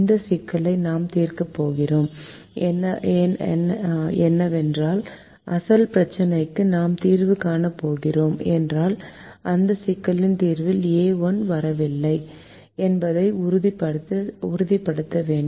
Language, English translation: Tamil, if this problem is going to be solved, from which we are going to get the solution, the original problem then we have to make sure that the a one does not come in the solution of this problem